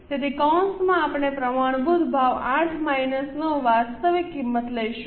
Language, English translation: Gujarati, So, in bracket we will take standard price 8 minus actual price 9